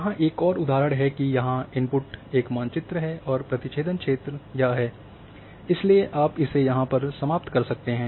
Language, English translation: Hindi, Another example here that this input is this a map here and the union cover is this so you end up with this